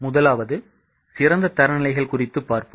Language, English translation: Tamil, The first one is ideal standards